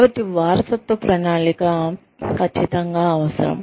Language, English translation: Telugu, So, succession planning is absolutely essential